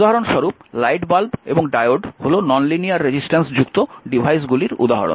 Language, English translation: Bengali, For example, your light bulb and diode are the examples of devices with non linear resistance